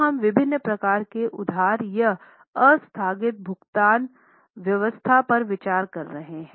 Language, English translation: Hindi, So, we here consider the various types of borrowings or deferred payment arrangements